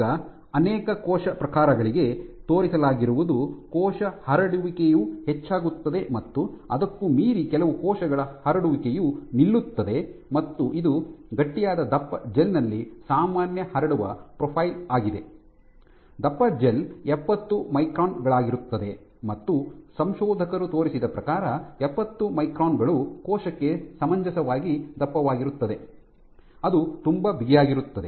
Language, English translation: Kannada, Now, what has been shown for multiple cell types is generally cell spreading increases and beyond that certain stiffness cell spreading saturates, this is the normal spreading profile on a stiff on thick gel; so thick gel this is 70 microns and what people have shown is 70 microns is reasonably thick for the cell that it cannot see the this gel is resting on something which is very stiff in this case class